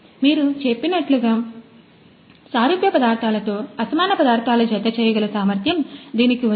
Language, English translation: Telugu, So, as you told it has the capability to join dissimilar materials with similar materials